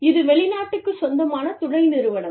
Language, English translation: Tamil, It is a foreign owned subsidiary